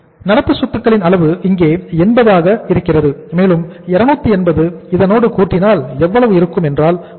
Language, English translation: Tamil, The current assets level is current assets level we have here is 80 and we have 280 plus how much is going to be there 16